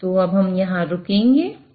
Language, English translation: Hindi, So we'll stop here